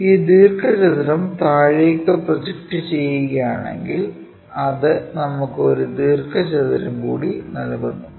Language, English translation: Malayalam, If we are projecting this rectangle all the way down it gives us one more rectangle